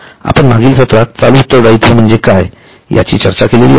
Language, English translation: Marathi, Now in the last session we have already discussed what is the current liability